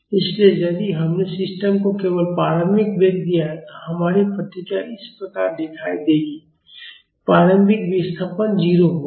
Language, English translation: Hindi, So, if we have given only initial velocity to the system our response will look like this, the initial displacement will be 0